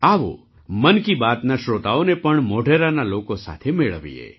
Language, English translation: Gujarati, Let us also introduce the listeners of 'Mann Ki Baat' to the people of Modhera